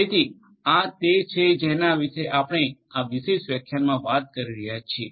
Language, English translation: Gujarati, So, this is what we are going to talk about in this particular lecture